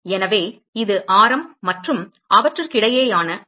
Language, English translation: Tamil, So, this is the radius and the angle between them is d theta